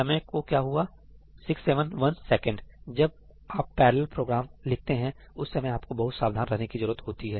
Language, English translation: Hindi, What happened to the time 671 seconds; you have to be very careful when you write parallel programs